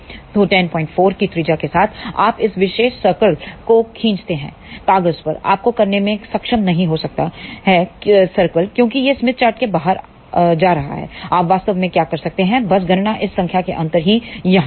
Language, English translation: Hindi, 4 you draw this particular circle, on paper you may not be able to draw the circle as it is going out of the smith chart what you can actually do is just calculate the difference of this number here